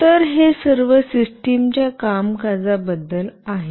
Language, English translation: Marathi, So, this is all about working of the system